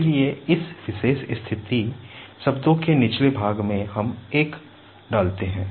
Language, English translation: Hindi, So, at the bottom of this particular position terms, we put 1